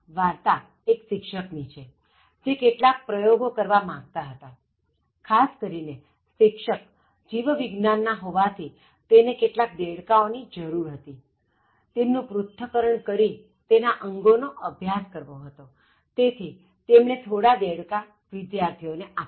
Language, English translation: Gujarati, The story is about one teacher, who wanted to conduct some experiments, especially the teacher being a biology teacher, so he needed some frogs for conducting this are, dissecting them and then identifying some body parts so he wanted to give some frogs to the students for conducting that experiment